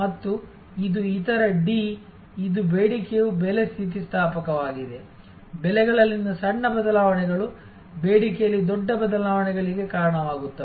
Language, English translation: Kannada, , which is demand is price elastic, small changes in prices lead to big changes in demand